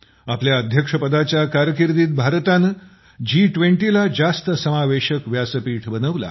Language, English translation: Marathi, During her presidency, India has made G20 a more inclusive forum